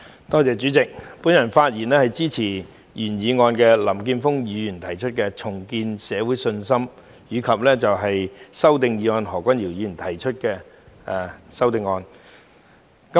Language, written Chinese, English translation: Cantonese, 代理主席，我發言支持林健鋒議員的"重建社會信心"議案，以及何君堯議員提出的修正案。, Deputy President I speak in support of Mr Jeffrey LAMs motion on Rebuilding public confidence and the amendment proposed by Dr Junius HO